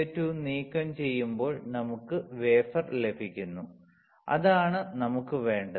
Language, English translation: Malayalam, When SiO2 is removed, we get the wafer which is what we wanted, correct